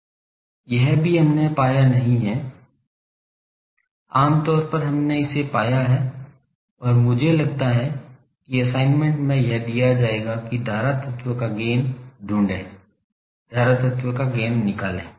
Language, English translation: Hindi, That also we have not found generally we found find it and, I think in assignment it will be given that find the gain of a current element, find the gain of a current element